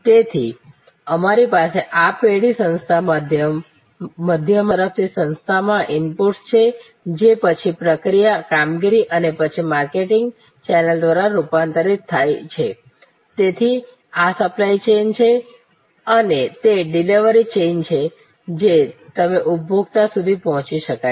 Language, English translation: Gujarati, So, we have this firm the organization in the middle, there are inputs from suppliers into the organization which are then converted through process, operations and then through the marketing channel, so this is the supply chain and this is the delivery chain you reach the consumer